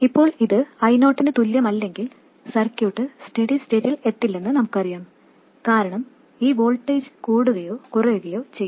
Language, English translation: Malayalam, Now if it is not equal to I0, we know that the circuit won't reach steady state because this voltage will go on increasing or decreasing